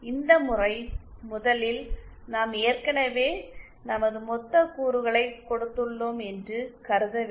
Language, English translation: Tamil, This method first we have to we assume that we have already been given our lumped elements